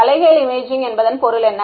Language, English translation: Tamil, What is meant by inverse imaging